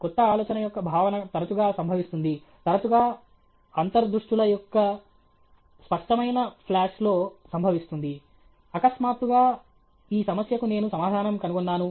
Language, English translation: Telugu, The conception of a new idea often occurs in a… often occurs in intuitive flash of insights; suddenly, some insight comes that I have found the answer to this problem